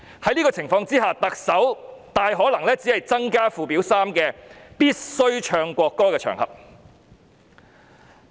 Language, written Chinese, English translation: Cantonese, 在這種情況下，特首大可能只是增加附表3的內容。, In this case the Chief Executive will probably merely make additions to the contents of Schedule 3